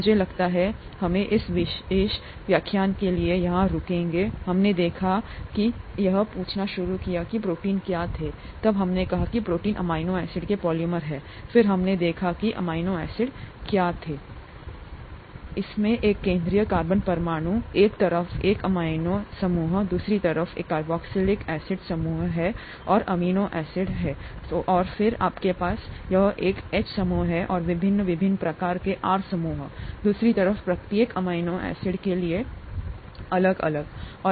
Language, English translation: Hindi, I think we will stop here for this particular lecture, we saw, we started out by asking what proteins were, then we said that proteins are polymers of amino acids, then we saw what amino acids were, it has a central carbon atom, an amino group on one side, a carboxylic acid group on the other side, so amino acid, and then you have a H group here, and various different types of R groups, one for each amino acid on the other side